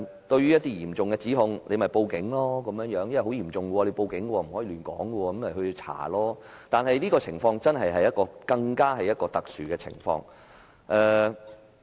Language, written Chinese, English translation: Cantonese, 對於一些嚴重的指控，只說可以報警求助，因為很嚴重，需要報警，不可亂說，以便當局進行調查，但這更是一種特殊的情況。, With regards to certain serious accusations he says that we can report to the police and seek the polices help . Since those incidents are very serious we should report to the police and should not make irresponsible remarks in order to facilitate the investigation of the authorities . But that would be an exceptional circumstance